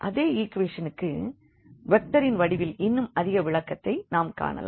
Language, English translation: Tamil, So, we will just look for one more interpretation of the same equation in the in terms of the vectors